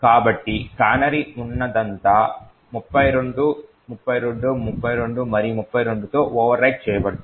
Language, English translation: Telugu, So, whatever canary was there present is now overwritten with 32, 32, 32 and 32